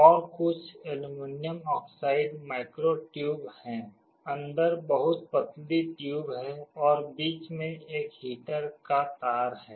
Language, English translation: Hindi, And there are some aluminum oxide micro tubes, very thin tubes inside it, and there is a heater coil in the middle